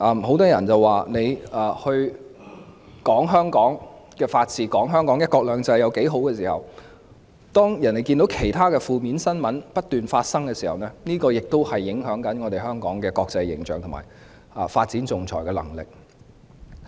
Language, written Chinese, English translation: Cantonese, 很多人認為，儘管說香港的法治及"一國兩制"有多好，但別人看到負面新聞不斷發生時，亦會影響香港的國際形象及發展仲裁的能力。, There are views that although Hong Kongs good performance in upholding the rule of law and implementing one country two systems has been mentioned time and again the incessant negative news about Hong Kong will affect Hong Kongs international image and its capability to develop arbitration services